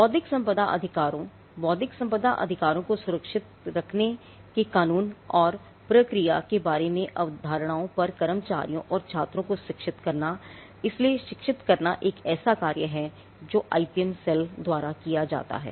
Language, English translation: Hindi, Educating it staff and students on the concepts regarding to intellectual property rights, the law and procedure for securing intellectual property rights, so educating is a function that is done by the IPM cell